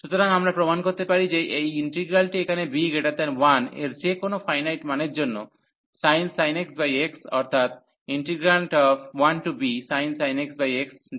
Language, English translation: Bengali, So, we can prove that that this integral here sin x over x the sin x over x 1 to b for any value of b greater than 1 any finite value